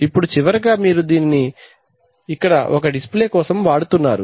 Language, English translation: Telugu, So finally you have to use this so here you may have a display